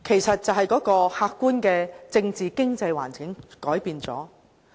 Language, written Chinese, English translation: Cantonese, 因為客觀政治、經濟環境有變。, It was because the objective political and economic environment had changed